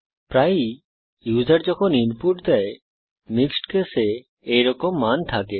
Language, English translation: Bengali, Often, when users give input, we have values like this, in mixed case